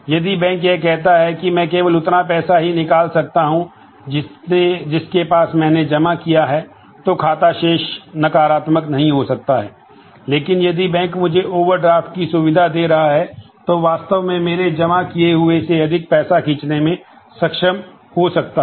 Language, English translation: Hindi, If the bank mandates that I can only withdraw as much money up to which I have deposited, then account balance cannot be negative, but if the bank is giving me the facility to overdraft then I may be able to draw more money than I have actually deposited